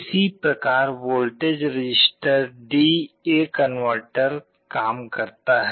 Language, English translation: Hindi, This is how the weighted register D/A converter works